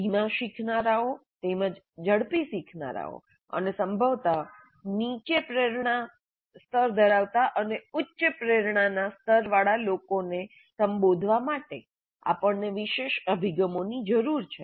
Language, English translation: Gujarati, So we need special approaches to address slow learners as well as fast learners and probably those with low motivation levels and those with high motivation levels